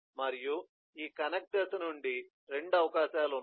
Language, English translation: Telugu, and there are 2 possibilities from this connecting stage